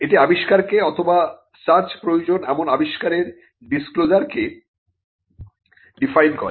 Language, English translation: Bengali, It defines the invention, or the disclosure of the invention which needs to be searched